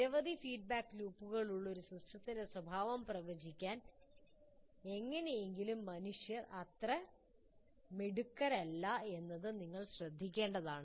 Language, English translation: Malayalam, You should note that somehow human beings are not very good at what do you call predicting the behavior of a system that has several feedback loops inside